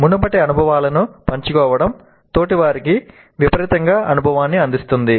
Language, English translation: Telugu, Sharing previous experiences provides vicarious experience to the peers